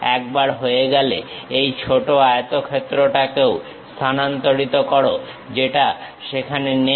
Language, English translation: Bengali, Once done, transfer this small rectangle also, which is not there